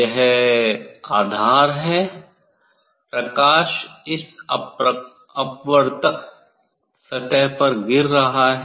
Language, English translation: Hindi, this is the base this is the base light is falling on this refracting surface